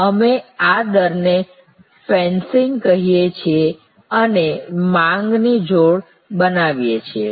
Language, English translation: Gujarati, So, we call this rate fencing and creating buckets of demand